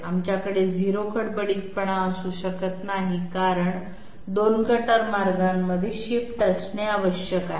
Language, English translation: Marathi, Since we cannot have 0 roughness because there has to be a shift between 2 cutter paths